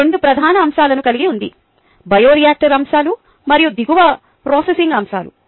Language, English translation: Telugu, it has two major aspects: a bioreactor aspects in the downstream processing aspects